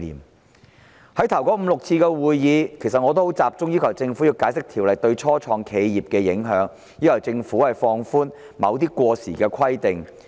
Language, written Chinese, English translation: Cantonese, 在法案委員會首5至6次會議上，我集中要求政府解釋《條例草案》對初創企業的影響，並要求政府放寬某些過時的規定。, At the first five to six meetings of the Bills Committee I focused on requesting the Government to explain the impacts of the Bills on start - ups and I also asked the Government to relax certain outdated requirements